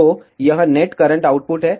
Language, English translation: Hindi, So, this is net current output